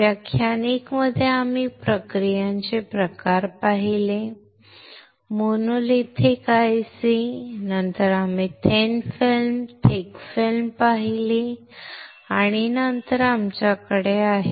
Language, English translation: Marathi, In class 1 we have seen the types of processes, monolithic ICs then we have seen thin film, thick film and then we have seen the hybrid ICs right